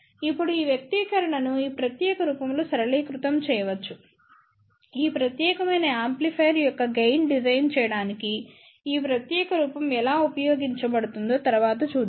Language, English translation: Telugu, Now, this expression can be simplified in this particular form, we will see later on how this particular form will be useful to design the gain of this particular amplifier